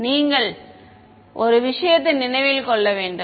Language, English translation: Tamil, So you should remember one thing